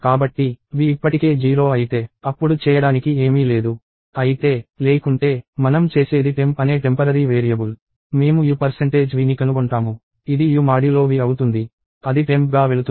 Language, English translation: Telugu, So, if v is already 0; then there is nothing to do; however, otherwise, what we do is we have a temporary variable called temp; we find out u percentage v, which is u modulo v; that goes as temp